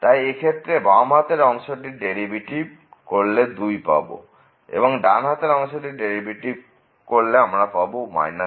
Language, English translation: Bengali, So, in this case the left derivative is 2 and the right derivative is minus 1